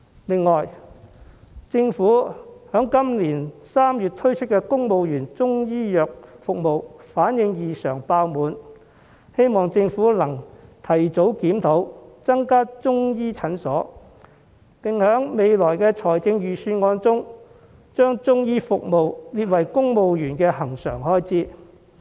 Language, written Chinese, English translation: Cantonese, 此外，政府在今年3月推出的公務員中醫藥服務反應異常熱烈，希望政府能夠提早檢討，增加中醫診所，並在未來的預算案中，把中醫服務列為公務員的恆常開支。, In addition the Chinese medicine services for civil service introduced in March were very well received . I hope the Government will conduct a review on it early increase the number of Chinese medicine clinics and include Chinese medicine services in the recurrent civil service expenditure in future Budgets